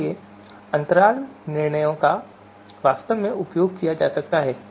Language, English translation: Hindi, So therefore, interval judgments can actually be used